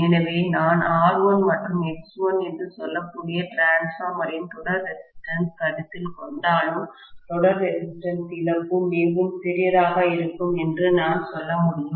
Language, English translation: Tamil, So, I can say that even if I consider the series resistance of the transformer which I may say R1 and X1, the series resistance loss is going to be really really small